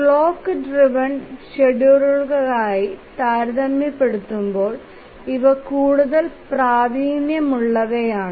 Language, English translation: Malayalam, Compared to the clock driven schedulers, these are more proficient